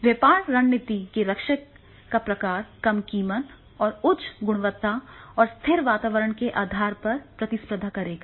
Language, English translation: Hindi, The type of business strategy defender will be that is the compete on the basis of the low price and high quality and stable environment